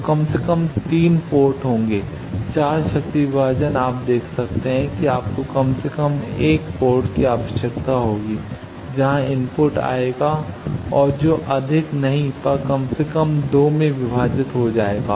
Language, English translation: Hindi, So, there will be at least 3 ports 4 power division, you can see you require at least one port where the input will come and that will get divided at least in 2 if not more